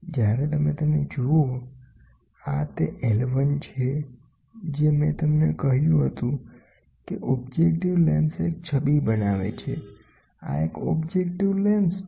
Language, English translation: Gujarati, When you look at it, this is what is I 1, which I told you the objective lens forms an image this is objective lens